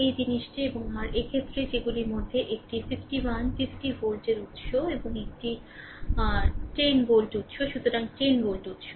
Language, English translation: Bengali, And I just this thing and your, in this case that you have one 51, 50 volt source right, and one your 10 volt source, so the 10 volt source